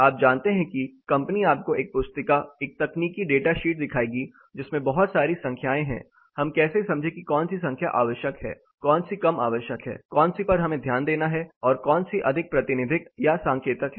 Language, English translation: Hindi, You know the company would be showing you a booklet, a technical data sheet, which as lot of number, how do we understand which number is essential, which is less essential, which we have to look at and which is more representative or indicative